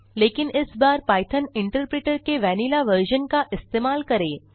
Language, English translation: Hindi, But this time let us try it in the vanilla version of Python interpreter